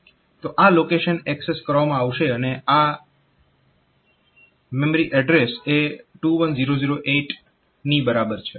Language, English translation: Gujarati, So, this location will be accessed and this MA equal to 21008; so this MA